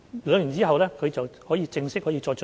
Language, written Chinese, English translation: Cantonese, 兩年後，他們可以有正式的晉升機會。, After two years they may be able to get promoted formally